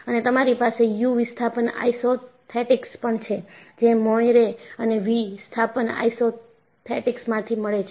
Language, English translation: Gujarati, And, you have u displacement isothetics; it is from Moire and v displacement isothetics